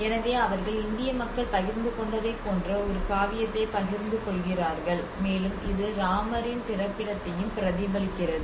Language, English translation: Tamil, So they share a similar epics of what we shared and it also reflects to the birthplace of Rama